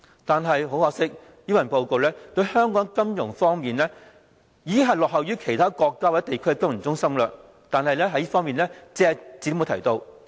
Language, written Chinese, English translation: Cantonese, 但是，很可惜，這份施政報告對香港在金融方面落後於其他國家或地區的情況，卻隻字不提。, But regrettably this Policy Address makes no mention of our laggard financial development vis - à - vis other countries and areas